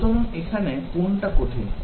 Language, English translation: Bengali, So, what is hard about this